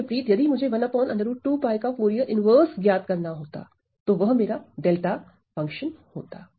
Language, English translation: Hindi, Conversely if I were to evaluate the Fourier inverse of 1 by root of 2 pi then that is my delta function ok